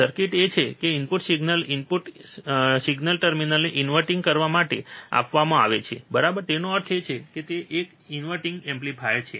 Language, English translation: Gujarati, The circuit is that the input signal, the input signal is given to inverting terminal right; that means, it is an inverting amplifier